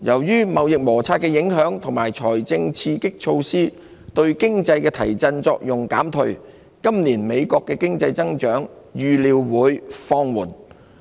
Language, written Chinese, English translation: Cantonese, 受貿易摩擦影響，加上財政刺激措施對經濟的提振作用減退，今年美國經濟的增長預料會放緩。, Economic growth in the United States is expected to slow this year dragged down by the impacts of trade friction coupled with the diminishing effect of fiscal stimulus to the economy